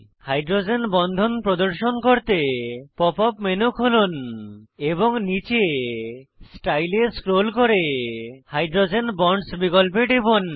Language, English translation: Bengali, To display hydrogen bonds: Open the pop up menu and scroll down to Style and then to Hydrogen Bonds option